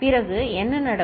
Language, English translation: Tamil, Then what happens